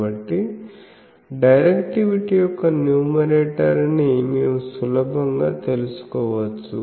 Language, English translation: Telugu, So, directivities numerator, we can easily find out